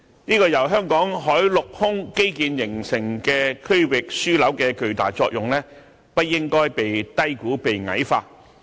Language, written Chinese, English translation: Cantonese, 這個由香港海陸空基建形成的區域樞紐的巨大作用，不應該被低估和矮化。, The tremendous effect of this regional hub formed by the land sea and air infrastructure of Hong Kong should not be underestimated and dwarfed